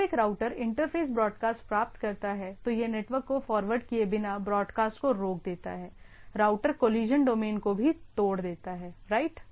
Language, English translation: Hindi, When a router interface receive the broadcast, it discards the broadcast without forwarding to the network, routers also breaks up collision domain right